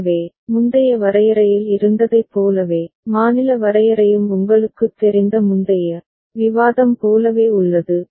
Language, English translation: Tamil, So, the state definition remains the same as was the previous you know, discussion as was there in the previous discussion